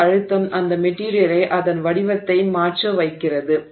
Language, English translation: Tamil, So that stress is causing that material to change its shape